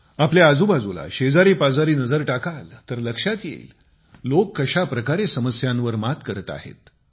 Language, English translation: Marathi, If you observe in your neighbourhood, then you will witness for yourselves how people overcome the difficulties in their lives